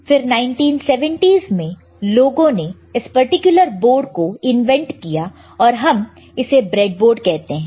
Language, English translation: Hindi, And later in 1970's people have invented this particular board, and we call this a breadboard